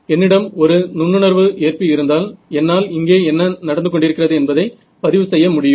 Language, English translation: Tamil, If I had a very sensitive receiver, I will be able to record what is happening over here